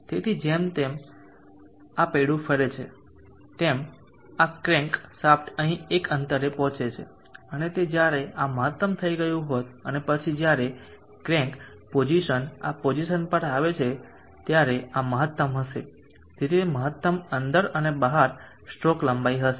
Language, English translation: Gujarati, So as this wheel rotates this crank shaft reaches a distance here, and that is when this would have gone maximum and then when the crank position comes to this position this would be maximum out, so that would be the maximum in and out would be the stroke length